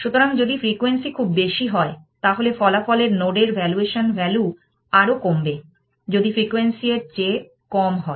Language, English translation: Bengali, So, if the frequency is very high, the valuation value for the resulting node will be decrease more, if the frequency is less than this